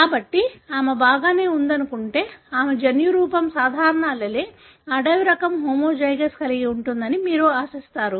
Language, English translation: Telugu, So, assuming that she would be alright, you would expect her genotype to be having the normal allele, wild type homozygous